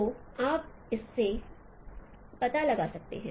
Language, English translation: Hindi, So with this now you can find out